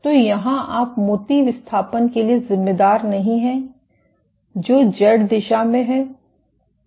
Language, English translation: Hindi, So, here you do not account for bead displacements which are in the Z direction